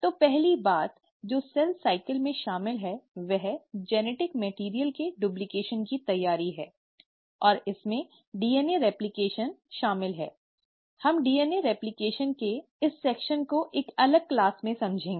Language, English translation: Hindi, So the first thing that a cell cycle involves is the preparation for duplication of the genetic material and this involves DNA replication, we will cover this section of DNA replication in a separate class